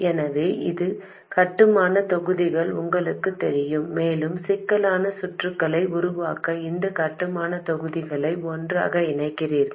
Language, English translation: Tamil, So, you know certain building blocks and you put together those building blocks to make more complex circuits